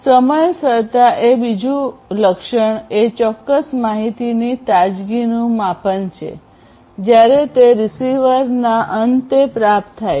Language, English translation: Gujarati, Timeliness the second attribute is basically the measurement of the freshness of a particular information; when it is received at the receiver end